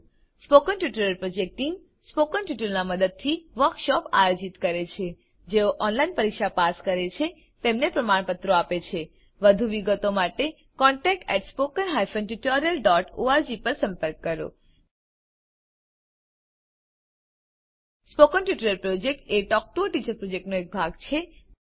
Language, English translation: Gujarati, The Spoken Tutorial Project Team Conducts workshops using spoken tutorials Gives certificates to those who pass an online test For more details, please write to contact at spoken hyphen tutorial dot org Spoken Tutorial Project is a part of the Talk to a Teacher project